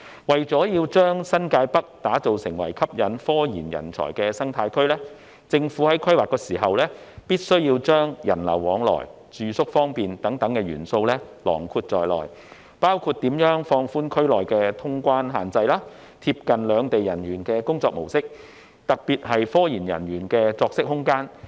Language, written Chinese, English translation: Cantonese, 為了將新界北打造為吸引科研人才的生態區，政府在規劃時必須加入人流往來及住宿方便等元素，包括如何放寬區內的通關限制，貼近兩地人員的工作模式，特別是科研人員的作息空間。, In order to develop New Territories North into an RD ecosystem for attracting RD talent the Governments plan must incorporate features to facilitate movement of people and accommodation including relaxing the clearance restrictions within the region to accommodate the work pattern of the personnel from the two places especially the living needs of RD personnel